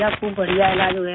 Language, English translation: Hindi, It has been a great treatment